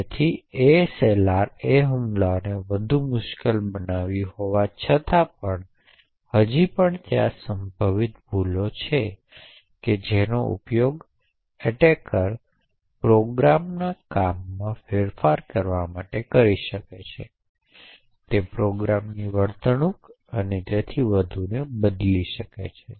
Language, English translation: Gujarati, So in this way even though ASLR actually makes attacks much more difficult but still there are potential flaws which an attacker could use to manipulate the working of the program, it could actually change the behaviour of the program and so on